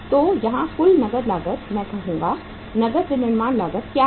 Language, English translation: Hindi, So what is the total cash cost here, cash manufacturing cost I would say